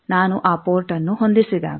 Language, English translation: Kannada, When I make that port 2 matched